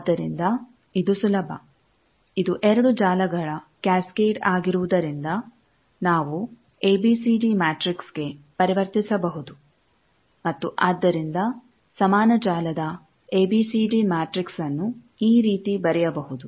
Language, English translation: Kannada, So, it is easier since this is cascade of 2 networks, we can convert to ABCD matrix and so ABCD matrix of equivalent network you know this can be written like this